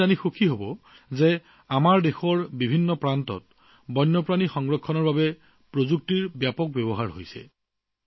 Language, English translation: Assamese, You will be happy to know that technology is being used extensively for the conservation of wildlife in different parts of our country